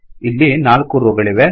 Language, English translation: Kannada, There are four rows